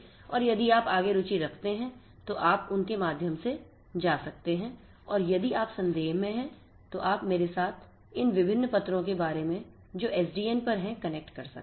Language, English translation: Hindi, And if you are interested further you can go through them and if you are in doubt you could connect with me regarding any of these different papers that we have on SDN